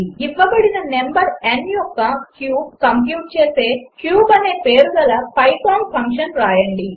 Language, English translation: Telugu, Write a python function named cube which computes the cube of a given number n